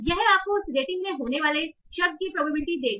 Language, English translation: Hindi, So, this will give you the probability of the word occurring in that rating